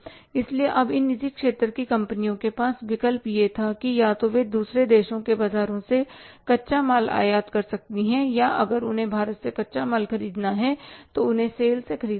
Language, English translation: Hindi, So, now the option with these private sector companies is that either they can import the raw material from the other countries markets or they have to buy the raw material from India, they have to buy it from sale